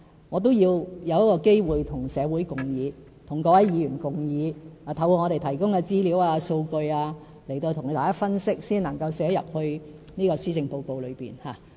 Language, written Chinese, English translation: Cantonese, 我也要找機會與社會及各位議員共議，透過政府提供的資料、數據，向大家分析，然後才能寫在施政報告中。, I need to discuss with society and Legislative Council Members and analyse different issues based on the information and statistics compiled by the Government before I can include them in a policy address